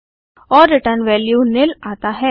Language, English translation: Hindi, And We get the return value as nil